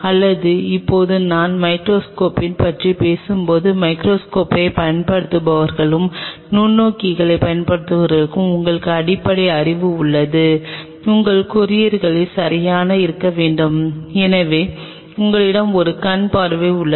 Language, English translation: Tamil, Or now when we talk about and upright microscope the thing is that those who have used microscope and those who have in used the microscope you have the basic knowledge that in your courier must have right it that it has an objective